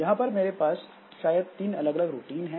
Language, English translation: Hindi, So, there may be I have got three different routines